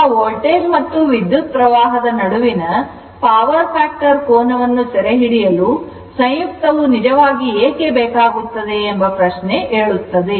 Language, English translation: Kannada, Now, question is why the conjugate conjugate is actually to capture the power factor angle between the voltage and current